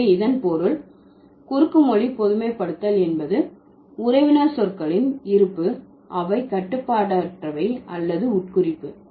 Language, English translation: Tamil, So, that means the cross linguistic generalization is that the existence of the kinship terms, they are unrestricted or implicational